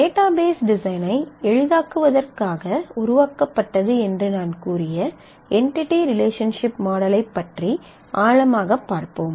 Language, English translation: Tamil, So, let us take a deeper look into the entity relationship model and entity relationship model as I said is developed to facilitate the database design